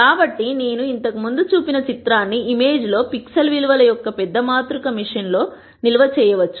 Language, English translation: Telugu, So, the image that I showed before could be stored in the machine as a large matrix of pixel values across the image